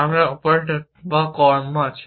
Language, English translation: Bengali, We have the operators or the actions